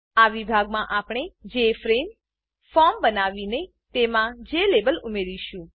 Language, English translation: Gujarati, In this section, we will create the Jframe form and add a Jlabel to the form